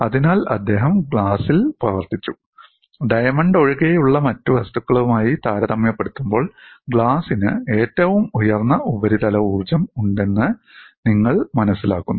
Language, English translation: Malayalam, So, he worked on glass and he find glass has the highest surface energy compared to other materials excluding diamond